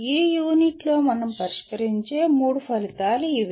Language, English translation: Telugu, These are the three outcomes that we address in this unit